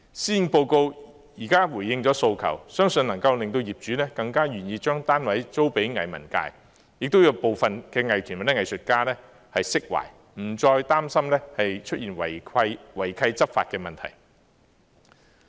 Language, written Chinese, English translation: Cantonese, 施政報告現在回應了訴求，相信能夠令業主更願意將單位租給藝文界，亦讓部分藝團或藝術家釋懷，不再擔心出現違契執法的問題。, The Policy Address has now responded to the appeal . I believe this initiative will raise the owners willingness to lease their units to arts and cultural sectors and relieve some art groups and artists from further worries about law enforcement against breaches of lease conditions